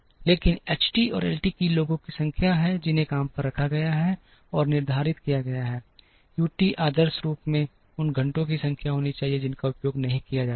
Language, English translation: Hindi, But, H t and L t are number of people, who are hired and laid off, U t should ideally be the number of hours that are not utilized